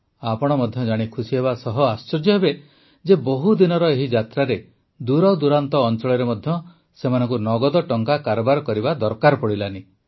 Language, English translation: Odia, You will also be pleasantly surprised to know that in this journey of spanning several days, they did not need to withdraw cash even in remote areas